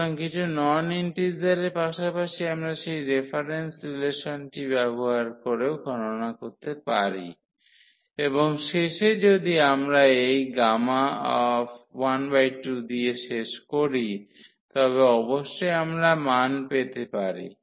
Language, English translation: Bengali, So, for some non integer number as well we can compute using that reference relation and at the end if we end up with this gamma half then certainly we can get the value